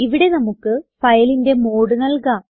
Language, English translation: Malayalam, Here we can give the mode of the file